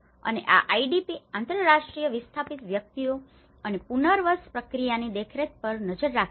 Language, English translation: Gujarati, And this has looked at the oversea of the IDP, International displaced persons and the resettlement process